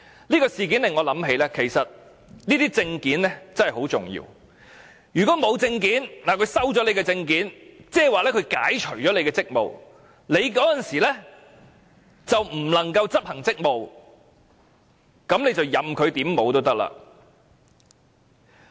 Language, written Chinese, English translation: Cantonese, 這事件令我想到這些證件真的很重要，如果沒有證件或被沒收證件，等於被解除職務，屆時港方人員便不能執行職務，任由擺布了。, The incident reminds me that these documents are very important . If a person does not have the document or if a persons document is confiscated it means that the person is relieved of his duties . In that event personnel of the Hong Kong authorities will not be able to perform their duties and will be treated arbitrarily